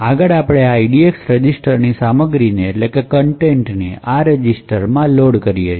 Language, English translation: Gujarati, Next, what we do is load the contents of this EDX register into this particular register